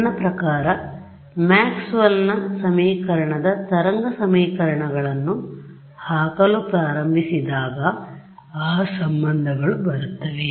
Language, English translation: Kannada, I mean when we start putting in Maxwell’s equation wave equations those relations will come